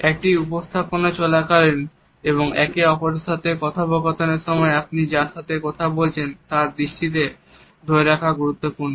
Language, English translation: Bengali, During a presentation as well as during a one to one conversation it is important to captivate the eyes of the person with whom you are talking